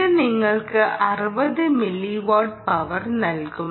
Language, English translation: Malayalam, this should give you sixty milliwatt right of power